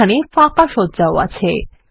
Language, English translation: Bengali, There are also blank layouts